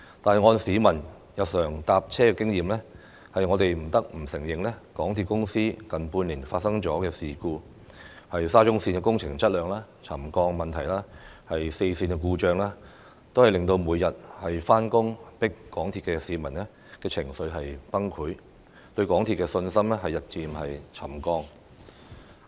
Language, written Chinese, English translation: Cantonese, 但是，按照市民日常乘車的經驗，我們不得不承認，港鐵公司近半年發生的事故，包括沙中線工程質量、沉降問題和四線故障等，均令每天上班擠港鐵的市民情緒崩潰，對港鐵公司的信心日漸"沉降"。, However going by commuters daily experience we can hardly deny that the incidents happening to MTRCL over the past six months including the quality problems of the SCL project the subsidence issue and the four - line disruptions have led to emotional breakdown and gradual subsidence of confidence in MTRCL among those commuting daily in jam - packed MTR trains